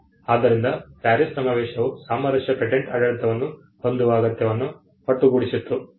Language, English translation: Kannada, So, but what the PARIS convention did was it brought together the need for having a harmonized patent regime